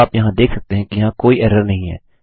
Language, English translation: Hindi, Now as you can see, there is no error